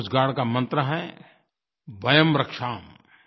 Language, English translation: Hindi, The motto of Coast Guard is 'Vayam Rakshaamaha